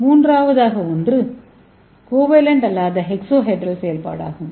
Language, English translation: Tamil, And third one is non covalent exohedral functionalization